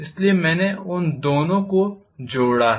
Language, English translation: Hindi, So I have added those two